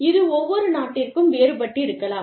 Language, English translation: Tamil, They vary from, country to country